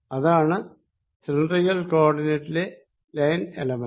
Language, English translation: Malayalam, that is a line element in cylindrical coordinates